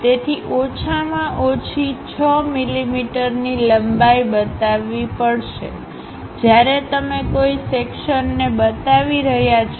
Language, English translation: Gujarati, So, minimum 6 mm length one has to show; when you are showing a section